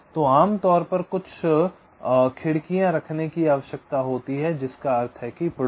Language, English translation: Hindi, ok, so usually you need to keep some windows, which means the neighborhood